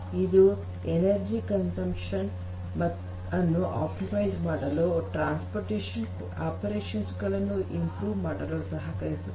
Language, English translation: Kannada, It can help in optimizing the energy consumption, and to improve the transportation operations